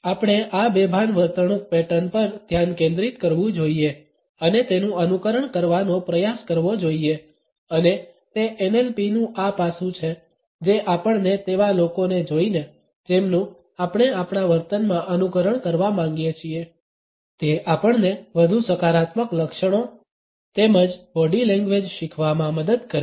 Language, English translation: Gujarati, We should focus on these unconscious behavioural patterns and try to emulate them and it is this aspect of NLP which helps us to learn more positive traits of behaviour as well as body language by looking at those people who we want to emulate in our behaviour